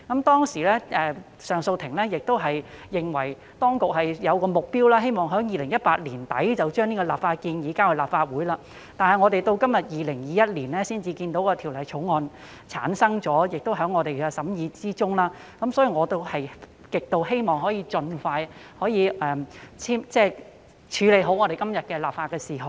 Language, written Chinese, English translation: Cantonese, 當時上訴法庭認為當局應設定目標，在2018年年底將相關的立法建議提交立法會，但是，及至2021年的今天，《條例草案》才產生，並在立法會會議上予以審議，所以我極希望可以盡快完成處理今天的立法事項。, CA considered that the Administration should set a target of introducing the concerned legislative proposal to the Legislative Council before the end of 2018 . Yet it is not until today in 2021 that the Bill is ready for consideration at the Council meeting so I really hope that the legislative item today can be processed as soon as possible